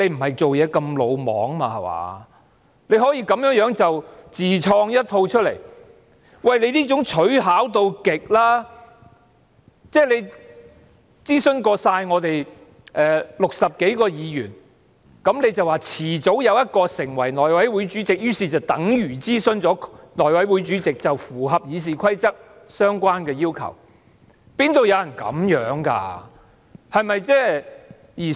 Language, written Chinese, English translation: Cantonese, 他這樣做可謂取巧至極，他認為諮詢了我們全部60多位議員，而我們遲早有一位會成為內委會主席，於是便等於諮詢了內委會主席，符合了《議事規則》的相關要求，哪會有人這樣做的呢？, He thinks that by consulting all the 60 - odd Members he will have consulted the House Committee Chairman because one of us will ultimately become the Chairman . So he thinks that his approach can meet the relevant requirement in the Rules of Procedure . Will anyone do something like that?